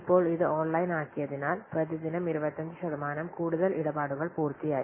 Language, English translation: Malayalam, So, now due to making the online, 25% more transactions are completed per day